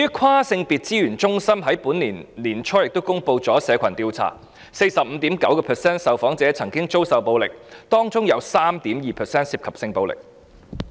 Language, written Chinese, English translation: Cantonese, 跨性別資源中心亦於本年年初公布社群調查，有 45.9% 受訪者曾遭受暴力，當中有 3.2% 涉及性暴力。, A community survey report was also released by the Transgender Resource Center at the beginning of this year and the results reveal that 45.9 % of the respondents were victims of violence and 3.2 % of such cases were sexual violence cases